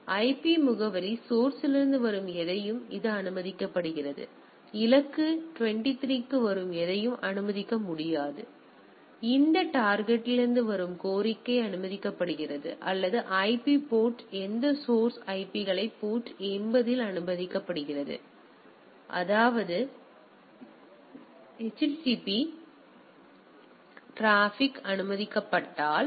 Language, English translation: Tamil, So, anything coming from IP address source it is allowed, anything coming from the for destination 23 is allowed anything any; request coming from this destination is allowed or IP port any source IPs port 80 is allowed; that means, if it is allowed that the HTTP traffic